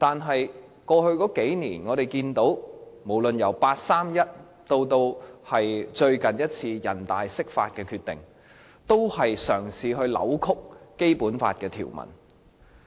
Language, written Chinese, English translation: Cantonese, 可是，我們看到在過去數年，無論是八三一方案以至最近一次人大釋法的決定，均在試圖扭曲《基本法》的條文。, However from our observation in the past few years be it the 31 August package or the recent NPCSC Decision to interpret the Basic Law they are all attempts to distort the provisions of the Basic Law